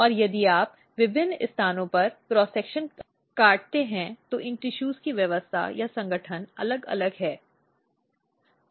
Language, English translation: Hindi, And if you cut cross section at different places the arrangement or organization of these tissues is different